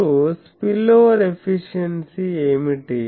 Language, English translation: Telugu, And now what is the spillover efficiency